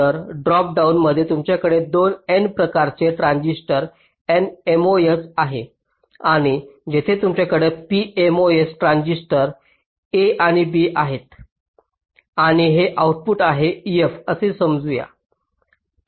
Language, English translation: Marathi, so in the pull down you have the two n type transistors, n mos, and here you have the p mos, transistors a and b, and this is the output